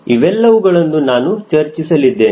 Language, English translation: Kannada, so all those points also we will be discussing